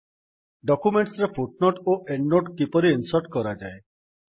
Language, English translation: Odia, How to insert footnote and endnote in documents